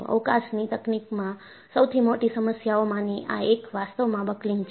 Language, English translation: Gujarati, So, one of the greatest problem in Space Technology is actually buckling